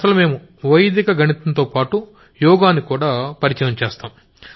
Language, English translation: Telugu, As such, we have also introduced Yoga with Vedic Mathematics